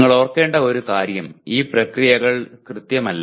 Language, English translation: Malayalam, One thing you should remember these processes are not exact